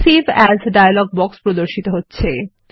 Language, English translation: Bengali, The Save as dialog box is displayed